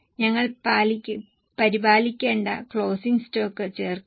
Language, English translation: Malayalam, We will add the closing stock which we need to maintain